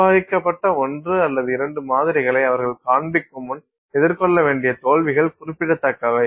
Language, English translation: Tamil, The number of failures they have to face before they show manage one or two samples that are where they are successful is remarkable